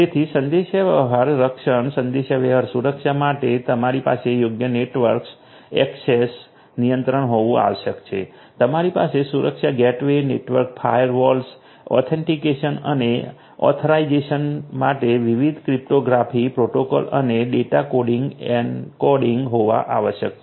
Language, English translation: Gujarati, So, for communication protection, communication security you need to have suitable network access control you need to have security gateways, network firewalls and also different cryptographic protocols for authentication, authorization and data coding encoding